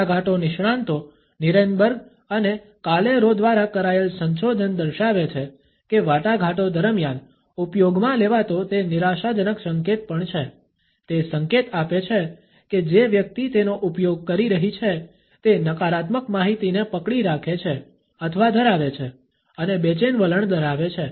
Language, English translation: Gujarati, Research by Negotiation Experts Nierenberg and Calero has showed that it is also a frustration gesture when used during a negotiation, it signals that a person who is using it is holding back either a negative information or possesses and anxious attitude